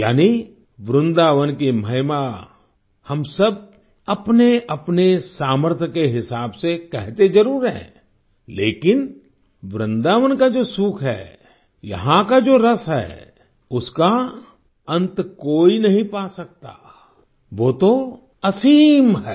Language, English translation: Hindi, Meaning, We all refer to the glory of Vrindavan, according to our own capabilities…but the inner joy of Vrindavan, its inherent spirit…nobody can attain it in its entirety…it is infinite